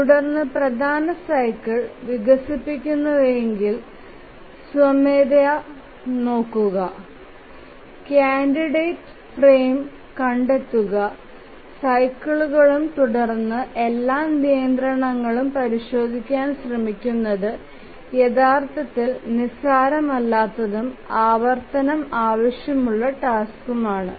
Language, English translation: Malayalam, Manually looking at all developing the major cycle, finding out candidate frame cycles and then trying to check every constraint is actually non trivial and that too it's an iterative task